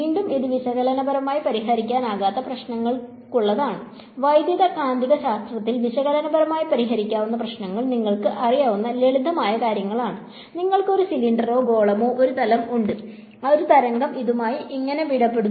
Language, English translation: Malayalam, And so again this is for problems that cannot be solved analytically, the problems that can be solved analytically in Electromagnetics are simple things like you know, you have a cylinder or a sphere or a plane how does a wave interact with this